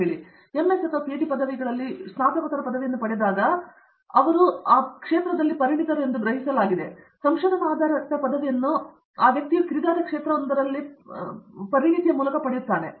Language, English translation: Kannada, So, there is always this perception that when do a masters degree especially in MS or a PhD degree, Research based degree that we, that the person, the student is becoming a specialist in a sort of a narrow field